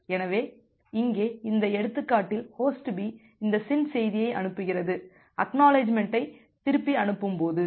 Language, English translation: Tamil, So, here in this example Host B sends this SYN message while sending back the ACK